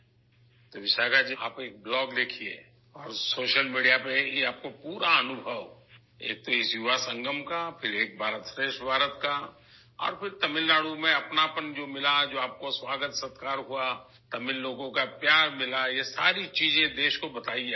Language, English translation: Urdu, So Vishakha ji, do write a blog and share this experience on social media, firstly, of this Yuva Sangam, then of 'Ek BharatShreshth Bharat' and then the warmth you felt in Tamil Nadu, and the welcome and hospitality that you received